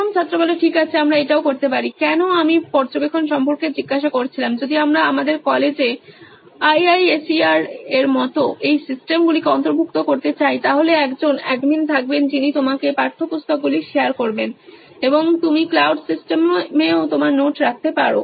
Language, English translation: Bengali, Right, we can also…why I was asking about the monitoring part is, if we want to incorporate this systems in our college like IISER there would be an admin who will be sharing the textbooks to you and you can put up your notes into that cloud system as well